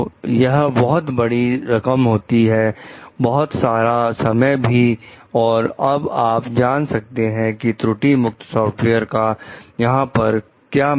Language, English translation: Hindi, So, it is huge money, huge time also and you can see the importance of having a error free software over them